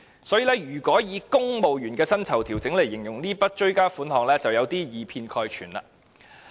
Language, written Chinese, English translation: Cantonese, 所以，以"公務員薪酬調整"來形容這筆追加撥款，便有點以偏概全。, Therefore it is a bit of a one - sided generalization to describe such a supplementary appropriation as civil service pay adjustment